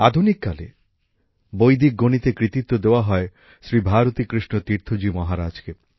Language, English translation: Bengali, The credit of Vedic mathematics in modern times goes to Shri Bharati Krishna Tirtha Ji Maharaj